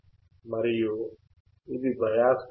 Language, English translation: Telugu, And these are biased voltage